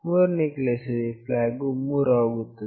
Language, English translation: Kannada, In the third case, the flag is 3